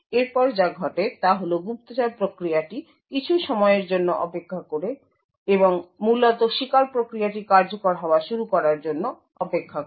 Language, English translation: Bengali, Next what happens is that the spy process waits for some time, the next what happens is that the spy process waits for some time and is essentially waiting for the victim process to begin execution